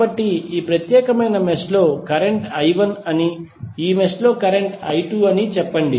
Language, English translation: Telugu, So, let us say that in this particular mesh the current is I 1, in this mesh is current is I 2